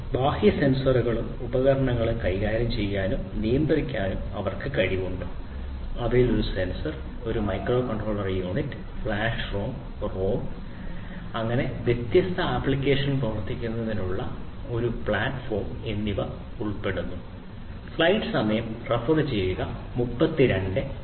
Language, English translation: Malayalam, They are capable of managing and controlling external sensors and devices and they would comprise of a sensor, a microcontroller unit, a memory unit comprising of flash RAM, ROM and a platform for running different sensor applications